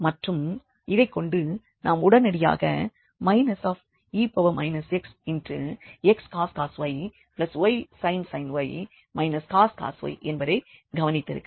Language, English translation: Tamil, And having this we will observe immediately that x cos y, y sin y and also this cos y they are the same both the sides